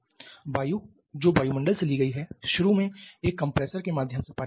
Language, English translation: Hindi, And what about air the air which is taken from the atmosphere it initially passes through a compressor